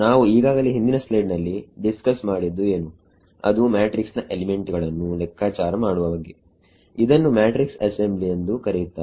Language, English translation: Kannada, What we just discussed in the previous slide that is calculating the matrix elements it is called matrix assembly